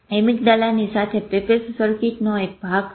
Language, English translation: Gujarati, Amygdala is a part of that pepeth circuit with it